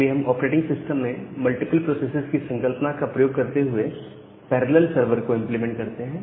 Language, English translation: Hindi, So, we implement the parallel server using this concept of multiple processes in operating system